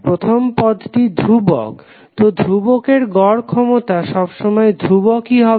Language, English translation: Bengali, First term is anyway constant, so the average of the constant will always remain constant